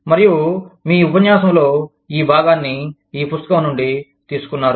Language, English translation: Telugu, And, have taken this part of your lecture, from this book